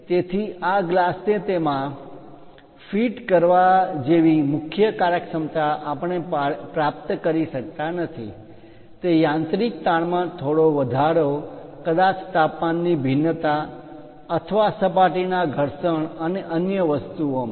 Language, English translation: Gujarati, So, the main functionality like fitting this glass inside that we may not be in a position to achieve, it a small increase in mechanical stresses perhaps temperature variations, or perhaps surface abrasions and other things